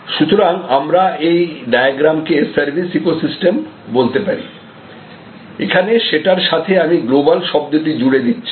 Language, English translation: Bengali, So, I think we can call this whole diagram as service ecosystem and we are adding a new word global service ecosystem